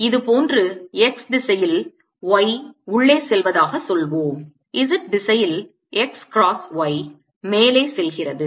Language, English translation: Tamil, like this: y, say, is going in x, cross y, z direction is going up